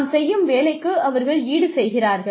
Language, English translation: Tamil, They compensate for the work, we do